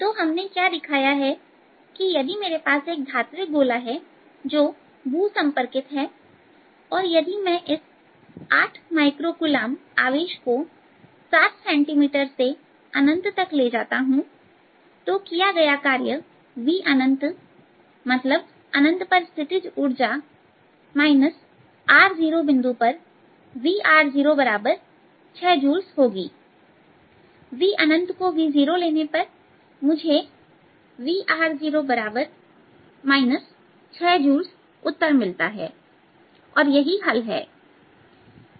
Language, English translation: Hindi, so what we have shown is that if i have this metallic sphere which is grounded, and if i take this charge of eight microcoulombs from seven centimeters to infinity, the work done, which should be equal to v at infinity, potential energy at infinity minus v, at this point r zero is equal to six joules